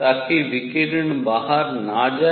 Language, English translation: Hindi, So, that the radiation does not go out